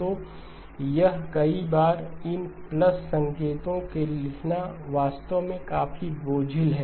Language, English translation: Hindi, So this writing these plus signs so many times is actually quite cumbersome